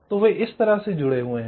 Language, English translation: Hindi, so they are connected like this